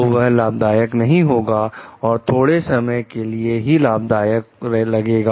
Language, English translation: Hindi, So, this may not be profitable, appear to be profitable in the short term